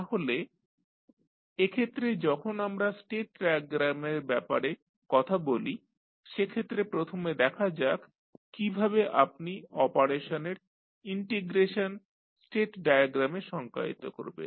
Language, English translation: Bengali, So, in this case when we talk about the state diagram let us first see how the integration of operation you will define in the state diagram